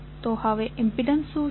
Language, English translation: Gujarati, So, what is the impedance now